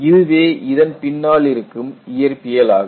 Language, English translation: Tamil, That is the physics behind it